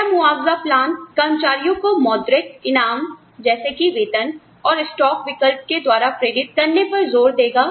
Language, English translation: Hindi, Will the compensation plan, emphasize motivating employees, through monetary rewards like, pay and stock options